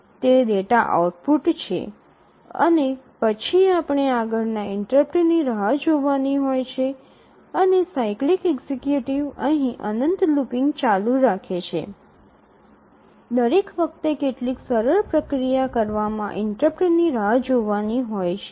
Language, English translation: Gujarati, And then wait for the next interrupt and the cyclic executive continues looping here infinitely each time waiting for the interrupt doing some simple processing